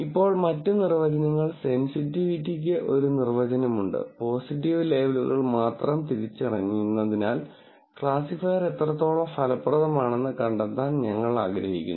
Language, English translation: Malayalam, Now the other definitions, there is a definition for sensitivity, where we want to find out how effective the classifier is in identifying positive labels alone